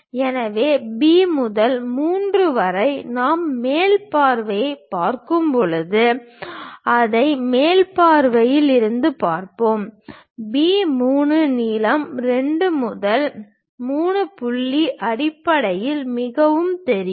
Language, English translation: Tamil, So, from B to 3 which we will see it from the top view when we are looking at top view, the B 3 length is quite visible, in terms of 2 to 3 point